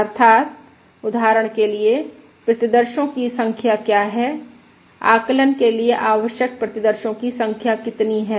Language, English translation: Hindi, Namely, what is the number of samples, for instance, what is the number of samples required for estimation